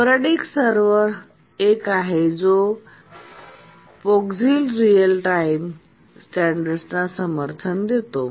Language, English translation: Marathi, The sporadic server is the one which is supported by the POGICs real time standard